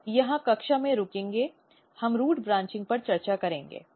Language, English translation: Hindi, So, will stop here in class we will discuss root branching